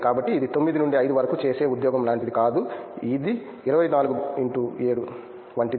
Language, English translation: Telugu, So, it is not like a 9 to 5 job which kinds of 24 x 7, so that is really good